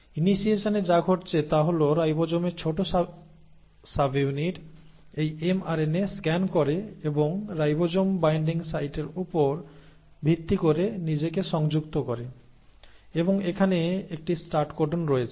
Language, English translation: Bengali, What is happening in initiation is the ribosome, the small subunit of ribosome scans this mRNA and attaches itself based on ribosome binding site and then here is a start codon